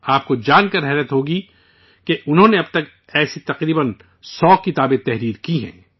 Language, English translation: Urdu, You will be surprised to know that till now he has written around a 100 such books